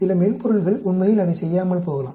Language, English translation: Tamil, Some softwares might not do that actually